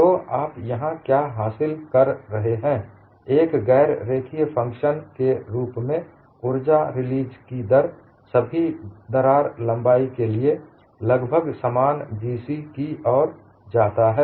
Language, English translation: Hindi, So, what you gain here is, making the energy release rate as a non linear function leads to approximately the same G c for all crack lengths